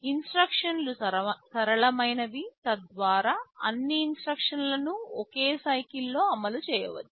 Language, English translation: Telugu, Instructions are simple so that all instructions can be executed in a single cycle